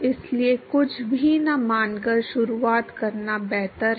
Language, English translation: Hindi, So, it is better to start with assuming nothing